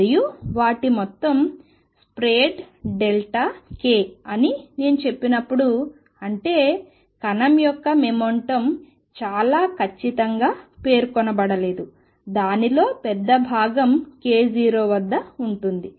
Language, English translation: Telugu, And when I say that their sum is spread delta k; that means, momentum of the particle is not specified very precisely a large chunk of it is k 0, but there is also a spread in it